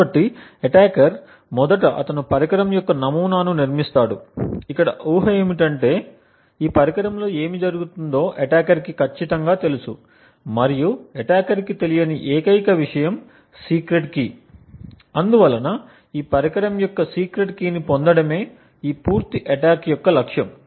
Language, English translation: Telugu, So, what the attacker does is firstly he builds a model of the device, the assumption here is that the attacker knows exactly what operations are going on within this device and the only thing that the attacker does not know is the secret key, the whole attack therefore is to be able to retrieve the secret key of this device